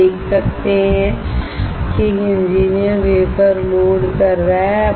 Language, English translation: Hindi, You can see that an engineer is loading the wafer